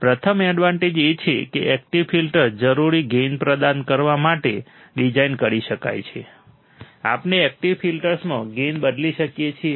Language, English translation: Gujarati, The first advantage is that active filters can be designed to provide require gain, we can change the gain in active filters